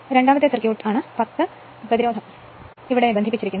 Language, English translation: Malayalam, Second circuit is the, that a 10 over resistance is connected here